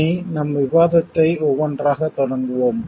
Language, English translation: Tamil, Now, we will start our discussion one by one